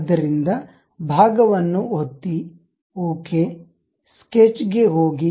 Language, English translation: Kannada, So, click part, ok, go to sketch